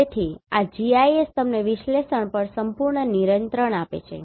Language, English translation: Gujarati, So, this GIS gives you full control over the analysis